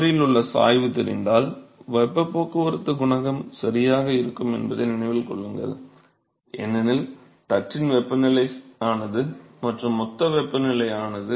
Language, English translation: Tamil, Remember that if we know the gradient at the wall we are done right the heat transport coefficient if because the temperature of the plate is constant and the bulk temperature is constant